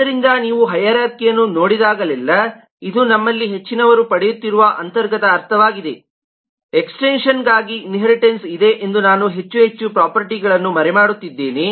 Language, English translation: Kannada, so whenever you look at the hierarchy, it is possibly the inherence sense most of us keep on getting is the inheritance is for extension that i am hiding more and more and more properties